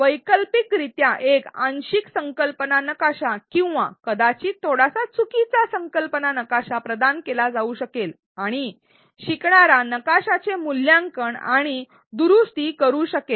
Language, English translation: Marathi, Alternately a partial concept map or perhaps a slightly incorrect concept map could be provided and the learner can evaluate and correct the map